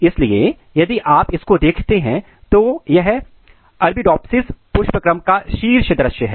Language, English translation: Hindi, So, if you look this is a, the top view of the Arabidopsis inflorescence